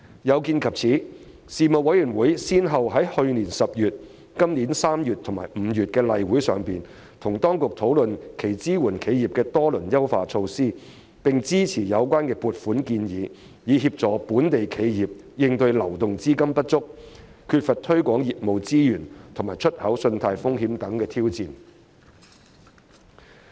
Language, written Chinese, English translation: Cantonese, 有見及此，事務委員會先後在去年10月、本年3月及5月的例會上與當局討論其支援企業的多輪優化措施，並支持有關的撥款建議，以協助本地企業應對流動資金不足、缺乏推廣業務資源及出口信貸風險等挑戰。, In view of this the Panel discussed with the authorities at the regular meetings held in October 2019 March and May 2020 the several rounds of their enhanced measures to support enterprises and supported the funding proposal concerned to help local enterprises cope with challenges such as shortage of liquidity lack of resources for business promotion and export credit risk